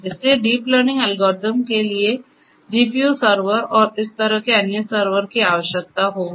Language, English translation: Hindi, So, deep learning algorithms will require GPU servers and the like